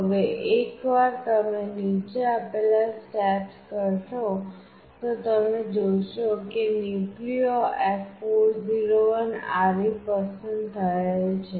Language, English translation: Gujarati, Now, once you do the following steps you will see that NucleoF401RE is selected